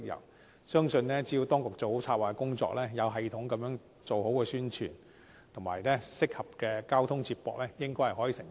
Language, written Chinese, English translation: Cantonese, 我相信只要當局做好策劃工作，有系統地推廣宣傳，以及提供合適的交通接駁，應該可以成功。, If the authorities do a good job on planning carry out promotional and publicity activities in a systematic manner and provide appropriate transport connections I believe we should be successful